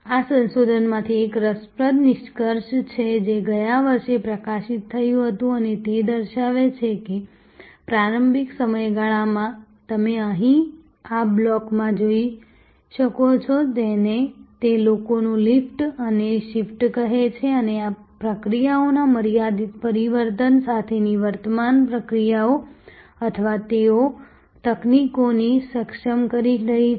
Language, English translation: Gujarati, This is an interesting extraction from the research, which was published last year and it shows that in the initial period as you can see here in this block, what they call lift and shift of people and existing processes with limited transformation of processes or they are enabling technologies